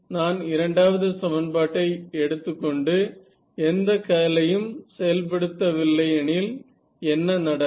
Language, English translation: Tamil, If I take equation 2 itself and do not apply any curls what happens here